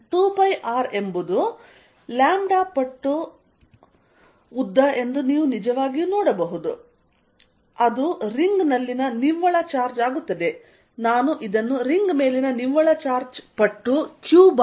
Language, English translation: Kannada, You can actually see that 2 pi, R is the length times lambda, it is going to the net charge on the ring